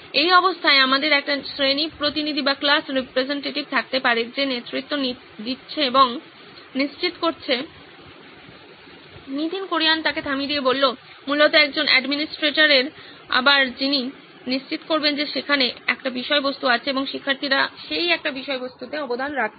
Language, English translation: Bengali, In this situation we can have a class representative who is taking the lead and making sure… Basically an administrator again who would be ensuring that there is that one content and students are contributing to that one content